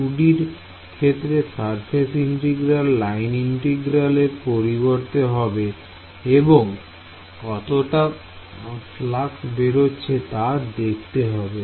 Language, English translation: Bengali, In 2D a surface integral will become a line integral and how much flux is going out of the line ok